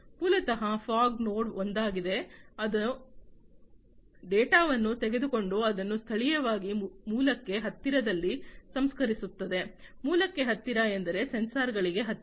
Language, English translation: Kannada, Basically, the fog node basically is the one, which will take the data and process it locally close to the source, close to the source means close to the sensors